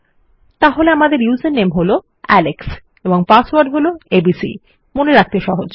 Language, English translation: Bengali, Okay so user name is Alex and password is abc easy to remember